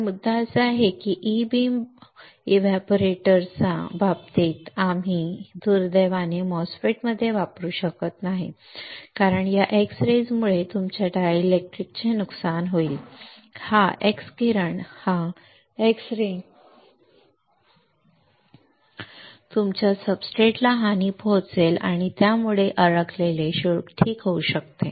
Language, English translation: Marathi, So, the point is that in case of E beam evaporators we cannot use unfortunately in MOSFET because this x rays will damage your dielectrics, this x ray will damage your substrate and this may lead to the trapped charges alright